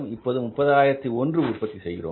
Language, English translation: Tamil, We are producing currently 30,000 units